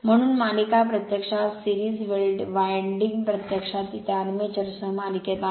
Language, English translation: Marathi, So, for series motor actually series winding being actually it is in series with that armature